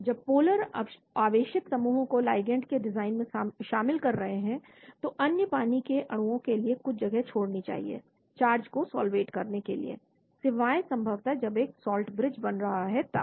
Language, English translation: Hindi, When polar charged groups are considered in the design of ligand one should leave some room for other water molecules to solvate the charge centre except possibly when a salt bridge is formed